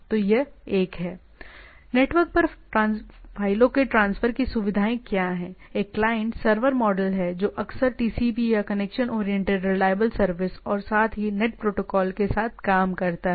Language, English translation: Hindi, So, what it facilitates transfer of files over network, it is a client server model often works with TCP or connection oriented reliable service and also telnet protocol